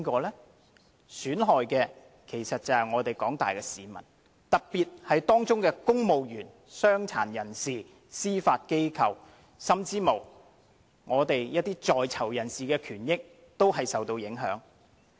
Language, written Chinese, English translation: Cantonese, 受損害的其實是廣大市民，特別是公務員、傷殘人士、司法機構，甚至是在囚人士的權益，均受影響。, Who will be the victims? . The victims are the general public especially civil servants people with disabilities the judiciary and prisoners